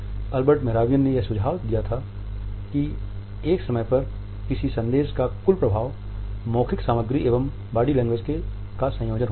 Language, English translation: Hindi, Albert Mehrabian at one moment had suggested that the total impact of a message is a combination of verbal content paralanguage and body language